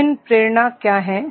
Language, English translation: Hindi, What are the various motivation